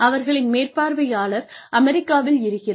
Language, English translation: Tamil, And, their supervisor is sitting in the United States